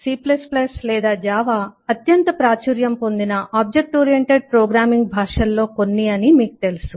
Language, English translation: Telugu, you aware that c plus, plus or java are some of the most popular object oriented programming languages